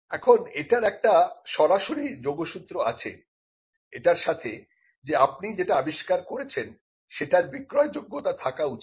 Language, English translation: Bengali, Now, this had a direct connect with the fact that what you are inventing should be sellable